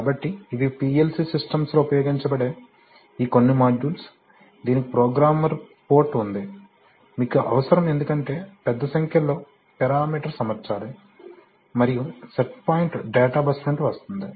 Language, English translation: Telugu, So these are some of these modules which are used in PLC systems, it has a programmer port because you need to, there are, there are large number of parameters which have to be set and set point comes from the data bus